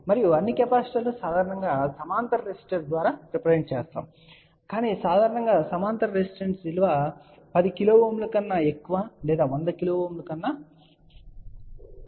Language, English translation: Telugu, And all the capacitors are generally represented by a parallel resistor but generally speaking that parallel resistor value is in general greater than 10 kilo Ohm or even a 100 kilo Ohm, ok